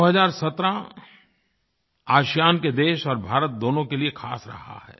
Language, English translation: Hindi, The year 2017 has been special for both ASEAN and India